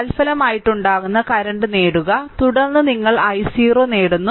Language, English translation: Malayalam, And obtain the resulting current, then, you obtain the i 0